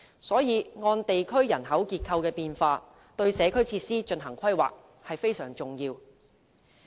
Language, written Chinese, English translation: Cantonese, 因此，按地區人口結構的變化，對社區設施進行規劃是非常重要的。, Hence it is extremely important that the planning of community facilities is adjusted according to demographic changes